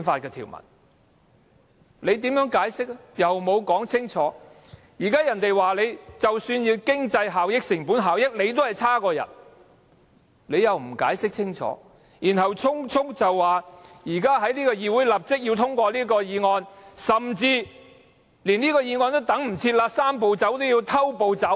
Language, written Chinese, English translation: Cantonese, 現在有人質疑，即使以經濟效益或成本效益的角度看，方案也很差劣，政府又不解釋清楚，只是匆匆要求議會立即通過這項議案，甚至連通過議案也等不了，"三步走"要變成"偷步走"。, There are also queries that the proposed arrangement is far from desirable if we look at the economic efficiency it generates or its cost - effectiveness and a clear explanation is again not available from the Government which has only made an urgent request for the immediate passage of its motion by this Council . It cannot even wait for the passage of the motion and it is considering turning the Three - step Process into a queue - jumping process